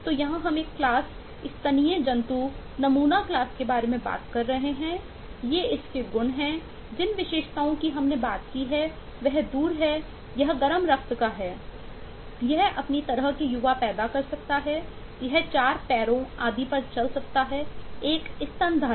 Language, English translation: Hindi, these are its properties, attributes we talked of, that is, it is far, it is warm blooded, it can produce, live young of its kind, it can walk on 4 legs and so on, is a mammal